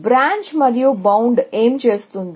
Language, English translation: Telugu, What will Branch and Bound do